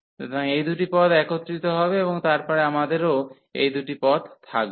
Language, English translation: Bengali, So, these two terms will be combined, and then we will have these two terms as well